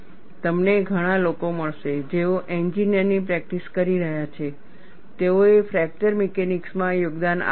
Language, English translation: Gujarati, Now, you will find many people, who are practicing engineers, they have contributed to fracture mechanics